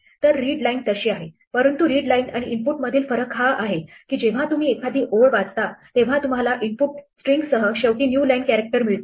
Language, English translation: Marathi, So, readline is like that, but the difference between the readline and input is that, when you read a line you get the last new line character along with the input string